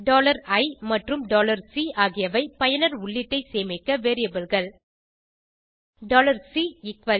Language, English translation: Tamil, $i and $C are variables to store user input